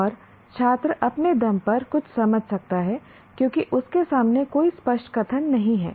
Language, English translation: Hindi, And a student may understand something on his own because there is no explicit statement in front of him